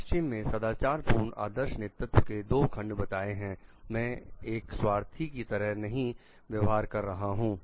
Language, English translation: Hindi, So, like west would identify two facets of moral leadership role modeling I am not acting selfishly